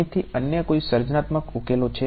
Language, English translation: Gujarati, Any other any creative solutions from here